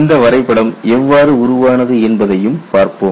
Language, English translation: Tamil, And will also how this diagram originated